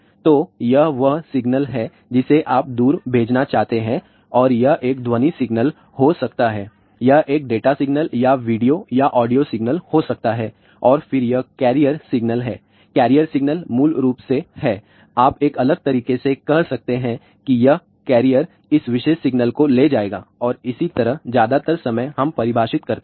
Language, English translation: Hindi, So, it is the information which you want to send to a faraway distant and that can be a voice signal, it can beat at a signal or video or audio signal and then this is the carrier signal carrier signal is basically, you can say in a different way that this carrier will carry this particular signal and that is how most of the time we define